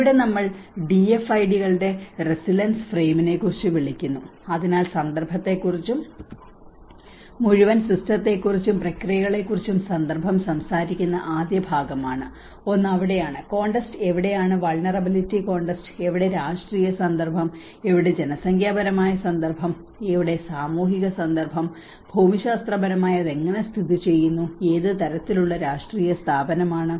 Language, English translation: Malayalam, Here we call about DFIDs resilience framework, so one is the first part which talks about the context and where the context talks about the whole system and the processes and that is where when the context where the vulnerability context, where the political context, where the demographic context, where the social context whether how it geographically positioned, what kind of political institution